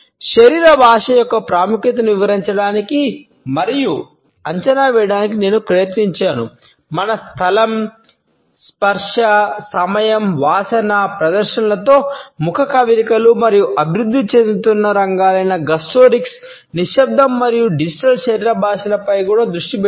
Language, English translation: Telugu, I have also try to explain and evaluate the significance of body language vis a vis our sense of space, touch, time, smell, facial expressions in appearances and also focused on the emerging areas of explorations namely gustorics, silence and digital body language